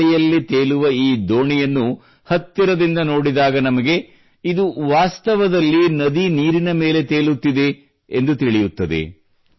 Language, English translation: Kannada, When we look closely at this boat floating in the air, we come to know that it is moving on the river water